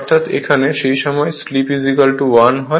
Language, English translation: Bengali, And at this point when slip is equal to 1